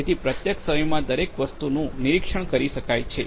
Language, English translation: Gujarati, So everything can be monitored in real time